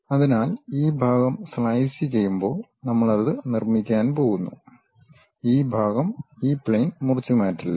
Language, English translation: Malayalam, So, this part when slice we are going to make it, that part is not chopped off by this plane